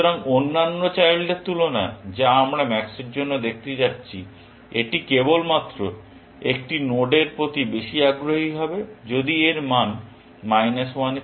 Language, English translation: Bengali, So, from the other children that we going to look at for max, it is only going to be interested in a node, if its value is going to be greater than minus 1